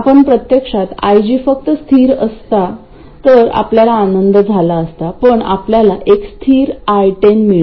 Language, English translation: Marathi, We were actually we would be happy if IG were just a constant, in fact we get a constant and 0